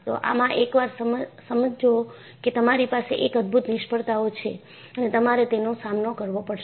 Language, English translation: Gujarati, So, once you understand that, you have spectacular failures, you have to deal with it